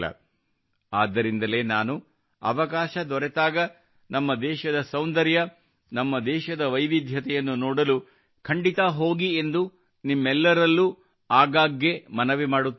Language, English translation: Kannada, That's why I often urge all of you that whenever we get a chance, we must go to see the beauty and diversity of our country